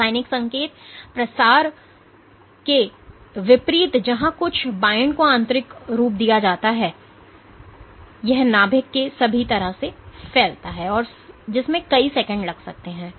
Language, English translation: Hindi, In contrast to the chemical signal propagation where something binds is internalized and it diffuses all the way to the nucleus which can take several seconds